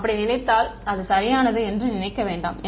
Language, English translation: Tamil, Do not think so, and that is correct do not think